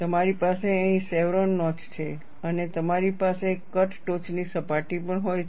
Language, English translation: Gujarati, You have the chevron notch here and you also have the cut top surface